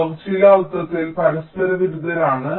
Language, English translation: Malayalam, they are mutually conflicting in some sense